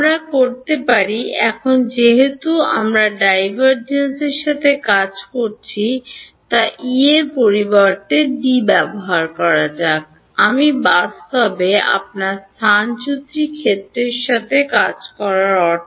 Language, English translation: Bengali, We can; now since we are working with divergences less is use D instead of E; I mean since your working with the displacement field